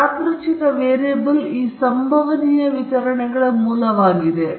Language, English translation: Kannada, So, the random variable is the originator for these probability distributions